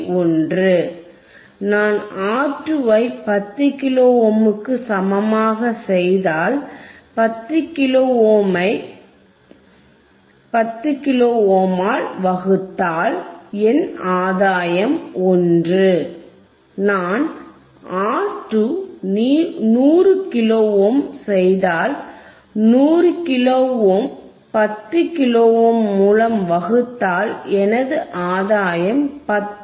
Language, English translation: Tamil, 1, if I make R 2 equals to 10 kilo ohm, 10 kilo ohm by 10 kilo ohm, my gain is 1, if I make R 2 100 kilo ohm , 100 kilo ohm by 10 kilo ohm, my gain becomes 10, right